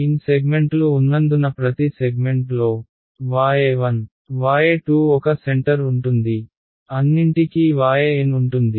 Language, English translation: Telugu, Since there are n segments each segment has one centre y 1, y 2 all the way up to y n right